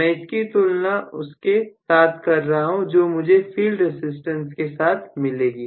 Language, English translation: Hindi, I am talking about this with respect to the inherent value of field resistance